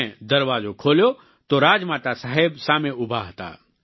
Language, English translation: Gujarati, I opened the door and it was Rajmata Sahab who was standing in front of me